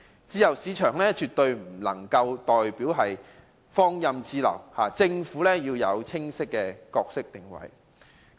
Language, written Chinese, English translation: Cantonese, 自由市場絕不代表放任自流，政府要有清晰的角色定位。, A free market is not same as laissez - faire . The Government must have a clear positioning in the promotion of tourism